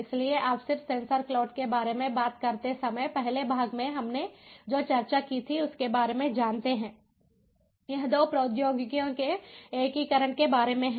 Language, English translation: Hindi, so you know, just as a recap of what we discussed before in the first part, when we talk about sensor cloud, it is about integration of two technologies